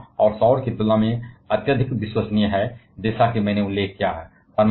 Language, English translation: Hindi, It is also highly reliable compare to wind and solar as I have mentioned